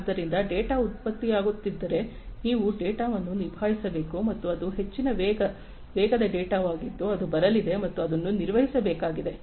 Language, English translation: Kannada, So, if the data is getting generated you have to handle the data and this is a high velocity data that is coming in and that has to be handled